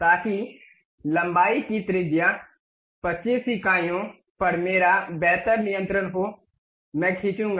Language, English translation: Hindi, So that I will have a better control on radius 25 units of length, I will draw